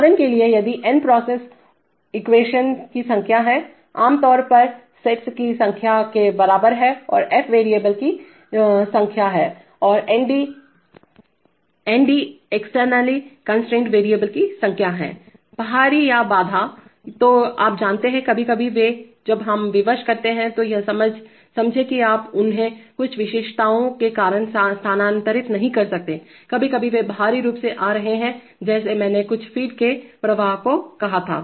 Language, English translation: Hindi, For example if n is the number of process equations, typically equated to the number of states and f is the number of variables and nd is the number of externally constraint variables, external or constraint, you know, sometimes they maybe, when we constrain the sense that you cannot move them because of certain specifications, sometimes they are externally coming, just like I said the some flow of some feed